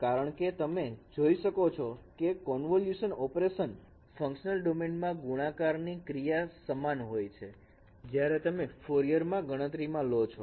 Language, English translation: Gujarati, Because you can see that convolution operations in the functional domain that becomes equivalent to multiplication operations in the transform domain when you consider Fourier transform